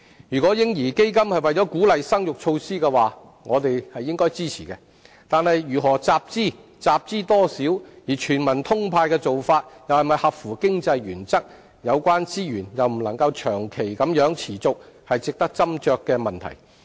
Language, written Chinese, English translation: Cantonese, 如果"嬰兒基金"是一項鼓勵生育的措施，我們應該予以支持，但如何集資、集資多少、"全民通派"的做法是否合乎經濟原則，以及有關資源能否長期持續，均是值得斟酌的問題。, If the baby fund is a measure to boost the fertility rate we should support it . But how to raise funds the amount to be raised whether the approach of indiscriminate provision of benefits is cost - effective and whether such resources are sustainable in the long run are issues that warrant deliberations